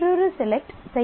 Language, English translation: Tamil, And another select is done